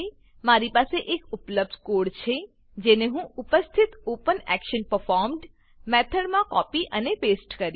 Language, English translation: Gujarati, I have an existing code snippet, which I will copy and paste into the existing OpenActionPerformed() method